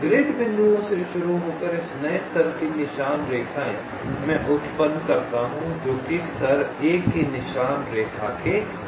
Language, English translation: Hindi, starting from the grid points, new trail lines of this new level i are generated that are perpendicular to the trail trail line of level i minus one